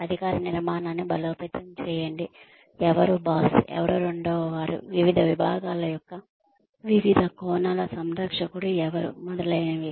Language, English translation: Telugu, Reinforce authority structure, who is boss, who is number two, who is the caretaker of different aspects of different departments, etcetera